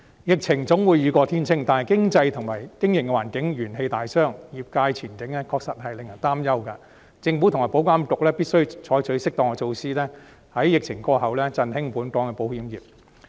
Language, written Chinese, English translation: Cantonese, 疫情總會雨過天晴，但經濟和經營環境元氣大傷，業界前景確實令人擔憂，政府和保險業監管局必須採取適當的措施，在疫情過後，振興本港的保險業。, The outbreak will subside one day but our economy and business environment have been badly hurt and the prospect of the industry is indeed worrisome . The Government and the Insurance Authority IA must adopt appropriate measures to revitalize the local insurance industry when the outbreak is over